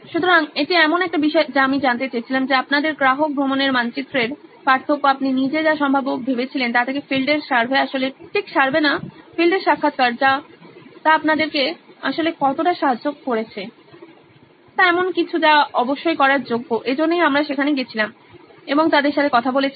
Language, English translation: Bengali, So, that’s one thing that I wanted to find out is how different is your customer journey map from what you had envisaged by yourself to what the on field survey actually not survey on field interviews actually helped you is something that is definitely worth while doing so that’s why we go and talk to them